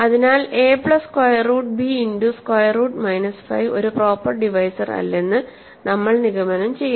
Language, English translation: Malayalam, Hence, hence we conclude that a plus square root b times square root minus 5 is not a proper divisor